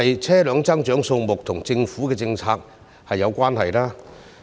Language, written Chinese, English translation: Cantonese, 車輛增長的數目是否與政府的政策有關呢？, Is the increase in the number of vehicles related to government policies?